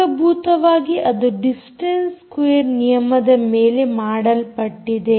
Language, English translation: Kannada, basically it is telling you about the distance square law